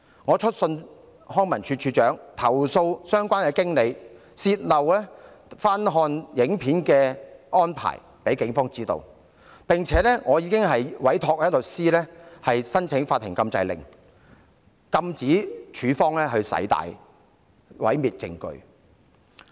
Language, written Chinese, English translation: Cantonese, 我已致函康文署署長，投訴相關經理向警方泄露有關翻看錄影片段的安排，並委託律師申請法庭禁制令，禁止署方刪除有關片段以毀滅證據。, I have written to the Director of Leisure and Cultural Services to complain about the disclosure of the arrangement for watching the footage to the Police by the relevant manager . I have also commissioned a lawyer to apply to the Court for an injunction order to prohibit LCSD from deleting the relevant footage to destroy the evidence